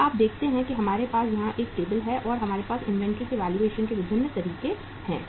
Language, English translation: Hindi, Now you see that we have a table here and we have different methods of valuing inventory